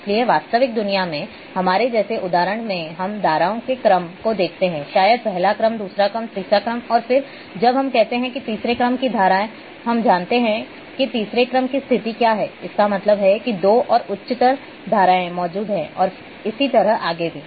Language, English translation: Hindi, So, the examples in real world in our in like in sciences we see the order of streams maybe first order, second order, third order and then, we say when we say third order streams we know that what is the status of third order; that means, there two more higher order streams exist and so on so forth